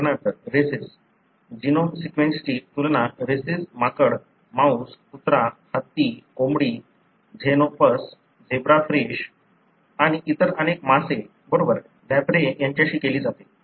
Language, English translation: Marathi, For example, rhesus; the genome sequence is compared with rhesus monkey, with mouse, dog, elephant, chicken, xenopus, zebra fish and many other fish, right, lamprey